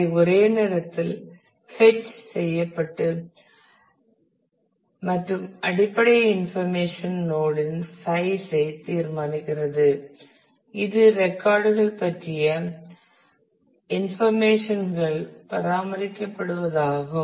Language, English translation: Tamil, Which can be fetched in one go and that determines the size of the basic information node where the information about the records will be maintained